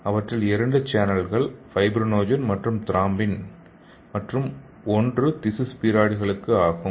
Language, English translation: Tamil, So it contains several channels so two channels for fibrinogen and thrombin, and one channel for tissue spheroids okay